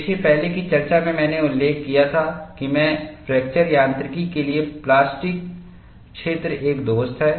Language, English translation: Hindi, See, in the earlier discussion, I had mentioned, plastic zone is a friend for fracture mechanics, that is what, I said